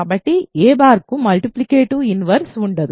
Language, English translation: Telugu, So, a has a multiplicative inverse